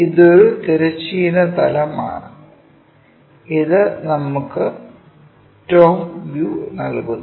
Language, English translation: Malayalam, This is horizontal plane, and this gives us top view information